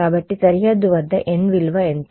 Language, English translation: Telugu, So, at the boundary, what is the value of n